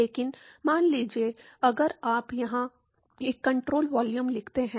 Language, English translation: Hindi, But supposing, if you write a control volume here